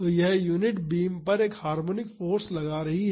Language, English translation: Hindi, So, this is, this unit is imparting a harmonic force on the beams